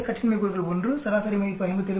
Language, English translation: Tamil, 6, degrees of freedom 1, mean value is 57